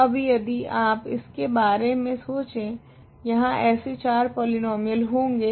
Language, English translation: Hindi, So, now if you think about this, there are four such polynomials